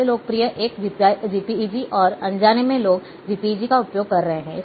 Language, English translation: Hindi, Most popular one is JPEG, and unknowingly people are using JPEG